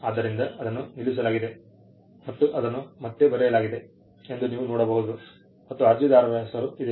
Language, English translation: Kannada, you can see that it was struck off and it was written back again, and the applicants name is here